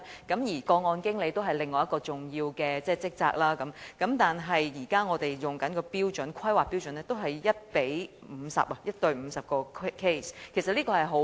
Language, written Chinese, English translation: Cantonese, 個案經理是另一個重要的職位，而我們現在採用的規劃標準是 1：50， 即1名個案經理處理50宗個案。, Furthermore case managers play a very important role . At present the manpower ratio is 1col50 ie . 1 case manager has to handle 50 cases